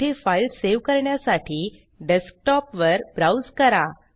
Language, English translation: Marathi, Browse to the Desktop to save the file there